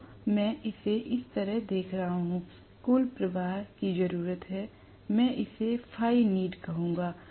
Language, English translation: Hindi, So, I am looking at it this way, the total flux needed, I will call this as phi needed